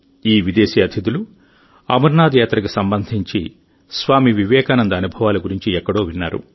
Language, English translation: Telugu, These foreign guests had heard somewhere about the experiences of Swami Vivekananda related to the Amarnath Yatra